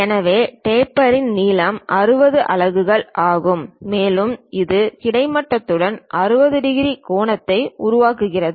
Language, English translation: Tamil, So, length of taper is this 60 units and this is the taper, this is the taper and it makes an angle of 60 degrees with the horizontal